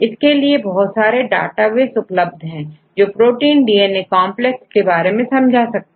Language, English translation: Hindi, So, there are various databases available, which will give you the binding affinity of protein DNA complexes